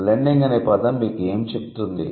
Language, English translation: Telugu, What is the word blending, what does it tell you